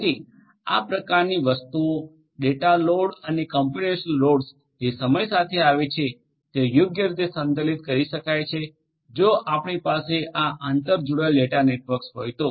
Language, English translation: Gujarati, So, handling that kind of thing data loads and computational loads that are going to come over time that can be handled load balanced in a proper manner, if you have these network interconnected data centres